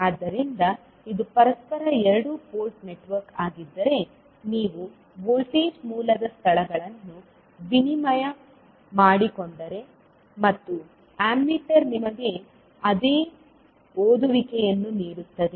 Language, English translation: Kannada, So, if it is reciprocal two port network, then if you interchange the locations of voltage source and the ammeter will give you same reading